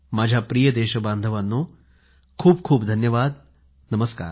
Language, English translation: Marathi, My dear countrymen, thank you very much